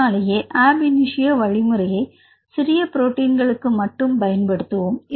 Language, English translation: Tamil, And this is a reason ab initio prediction we can use only for small proteins